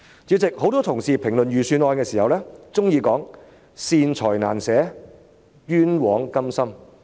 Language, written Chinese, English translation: Cantonese, 主席，很多同事評論預算案的時候，都喜歡說"善財難捨，冤枉甘心"。, President when commenting on the Budget many of my colleagues accuse the Government of being tight - fisted for benevolent causes but lavish on unworthy causes